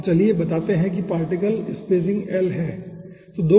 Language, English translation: Hindi, so lets say the particle particle spacing is l